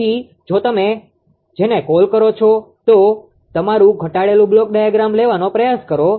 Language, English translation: Gujarati, So, if you, if you ah what you what you call try to take the your reduced block diagram